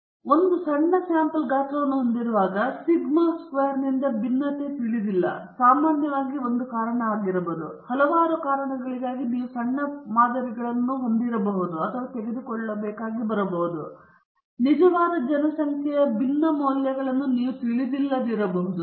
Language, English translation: Kannada, Now, when you have a small sample size, and the variance sigma square is not known, which is usually the case, for several reasons you might be forced to take small samples, and also, you may not know the real population variance value